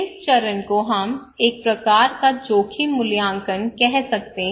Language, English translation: Hindi, This phase, according to that, we can call a kind of risk appraisal